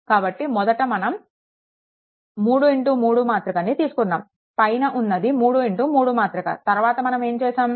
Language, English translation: Telugu, So, first thing is your 3 into 3 matrix, this is your 3 into 3 matrix, and then what you do